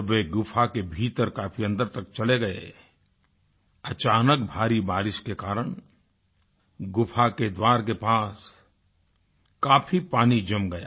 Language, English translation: Hindi, Barely had they entered deep into the cave that a sudden heavy downpour caused water logging at the inlet of the cave